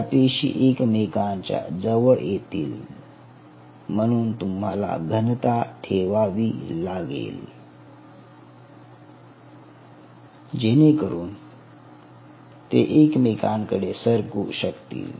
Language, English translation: Marathi, they will start to come close and you have to maintain a certain density so that they could migrate close to each other